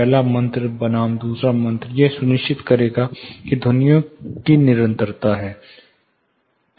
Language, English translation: Hindi, The first spell versus the second spell, it will ensure there is the continuity of sounds